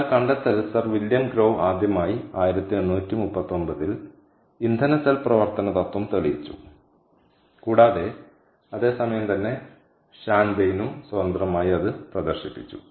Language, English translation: Malayalam, sir william grove first demonstrated fuel cell operating principle way back in eighteen, thirty, nine, and also independently